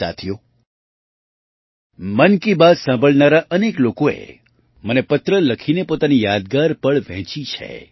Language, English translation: Gujarati, Friends, many people who listened to 'Mann Ki Baat' have written letters to me and shared their memorable moments